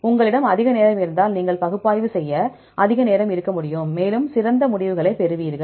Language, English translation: Tamil, If you have more time, you can have more time to analyze and will better results